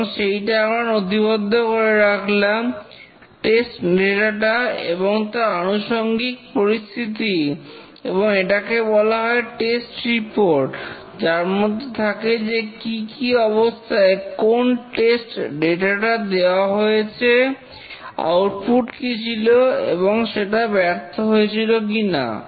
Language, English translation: Bengali, And this we note it down the condition and the test data and this is called as the test report which contains all the conditions under which different data were given, the output produced and whether it was a failure or not